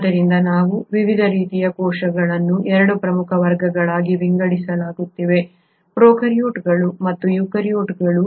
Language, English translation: Kannada, So we divide different types of cells into 2 major categories, prokaryotes and eukaryotes